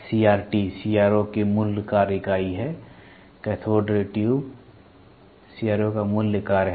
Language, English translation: Hindi, The CRT is the basic function unit of CRO; Cathode Ray Tube is the basic function of CRO